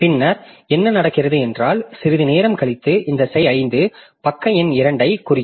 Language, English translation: Tamil, Then what happens is that immediately after some time this process 5 will refer to page number 2